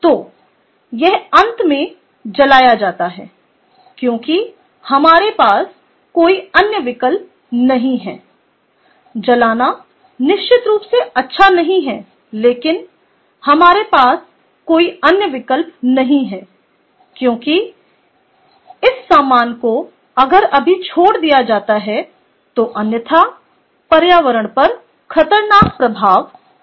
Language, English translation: Hindi, ok, so this is burned because, finally, because we have no other option, burning is definitely not good, but we have not no other option because these materials that are incinerated, if left otherwise, is going to have hazardous effects on the environment